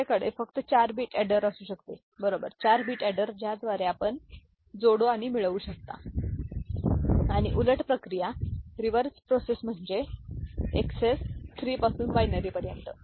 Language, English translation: Marathi, The other one could be just having a 4 bit adder, right, a 4 bit adder by which you can add and get it and the reverse process, reverse process means from XS 3 to binary